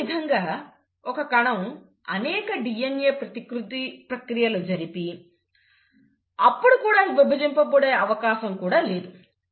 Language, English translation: Telugu, Similarly, you will find that a cell cannot afford to undergo multiple DNA replications and then divide